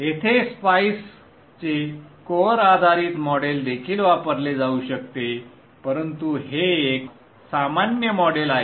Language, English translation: Marathi, One could also use the core based model of SPICE here, but this is a generic model